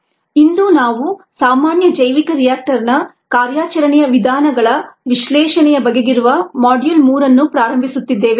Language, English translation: Kannada, today we will a begin module three ah, which is on analysis of common bioreactor operating modes